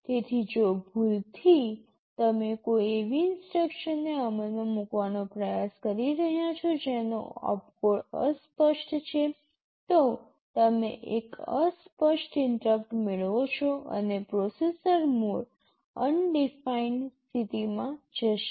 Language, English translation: Gujarati, So, if by mistake you are trying to execute an instruction whose opcode is undefined, you get an undefined interrupt and the processor mode goes to undefined state und